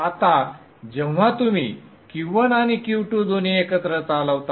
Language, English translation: Marathi, Now whenever you operate both Q1 and Q2 are turned on together